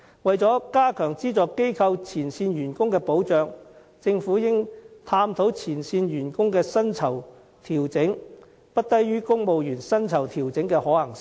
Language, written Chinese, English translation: Cantonese, 為了加強資助機構前線員工的保障，政府應探討前線員工的薪酬調整不低於公務員薪酬調整的可行性。, In order to better protect the frontline staff of subvented organizations the Government should explore the feasibility of setting the pay adjustment of these frontline staff at a level not lower than that of their civil service counterparts